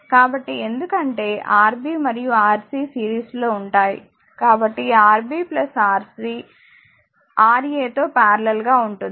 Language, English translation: Telugu, So, because Rb and Rc will be in series; so, Rb plus Rc into Ra divided by Ra plus Rb plus Rc